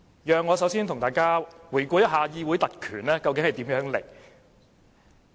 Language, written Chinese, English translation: Cantonese, 讓我先與大家回顧一下議會特權從何而來。, I would like to review with fellow Members the origin of parliamentary privilege first